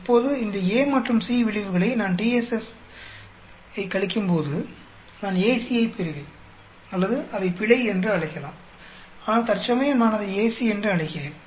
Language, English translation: Tamil, Now, when I subtract each of these effect A and C from TSS, I will get AC or I can call it error also, but I will call it AC for a time being